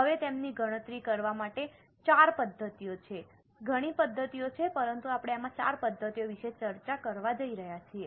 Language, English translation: Gujarati, Now, to calculate them, there are four methods, there are several methods, but four methods we are going to discuss in this course